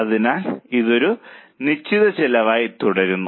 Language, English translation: Malayalam, So, it remains a fixed cost